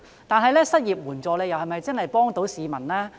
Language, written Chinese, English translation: Cantonese, 但是，失業援助是否真的能幫助市民？, However can unemployment assistance really help people?